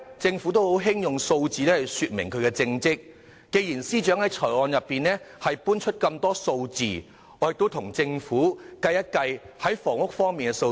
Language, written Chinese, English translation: Cantonese, 政府一向喜歡用數字來顯示政績，既然司長在預算案臚列了很多數字，我現在就跟政府計算一下房屋方面的數字。, The Government is fond of demonstrating its performance with figures . Given the numerous figures cited by the Financial Secretary in the Budget I will now share with the Government some figures about housing